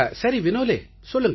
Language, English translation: Tamil, Yes, Vinole please tell me